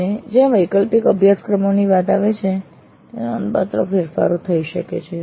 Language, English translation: Gujarati, And when it comes to elective courses, substantial changes may also occur